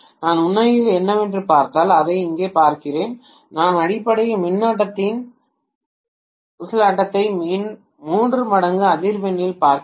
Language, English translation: Tamil, Let me look at it here if I actually look at what is, see we are essentially looking at the oscillation of the current at three times the frequency